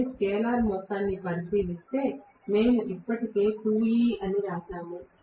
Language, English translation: Telugu, Whereas if I look at the scalar sum, we already wrote that is 2E